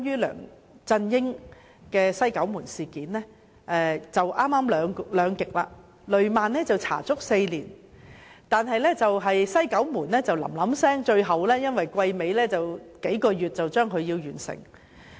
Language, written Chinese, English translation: Cantonese, 兩者剛好是兩極，雷曼事件足足調查了4年，但"西九門事件"的調查則很趕急，因為臨近會期完結，數個月便完成。, While it took us four years to investigate the Lehman Brothers incident the investigation on the West Kowloon - gate incident just took a few months as we had to complete the investigation before the expiry of the Legislative term